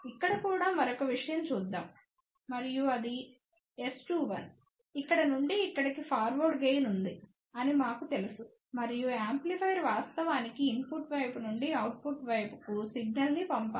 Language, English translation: Telugu, Let us look at another thing also here and that is S 2 1, we know is a forward gain from here to here and amplifier should actually send the signal from the input side to the output side